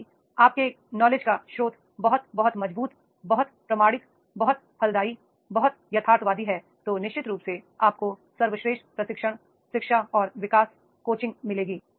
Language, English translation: Hindi, If your source of your knowledge is very, very strong, very much authenticate, very much fruitful, very much realistic, then definitely you will get the best training, education and development practice coaching